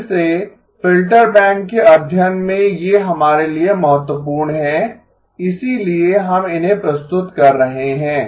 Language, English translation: Hindi, Again, these are important for us in the study of filter bank, so that is why we are introducing them